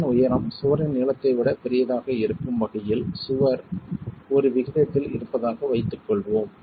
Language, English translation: Tamil, Let us assume the wall is of an aspect ratio such that the height of the wall is much larger than the length of the wall